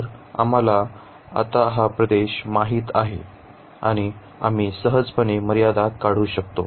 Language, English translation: Marathi, So, we know the region now and we can easily draw the limits